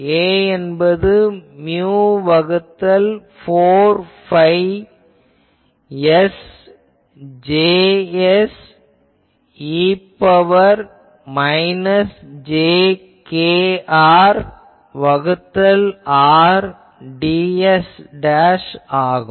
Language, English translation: Tamil, Mu by 4 phi S J s e to the power minus jk R by R ds dashed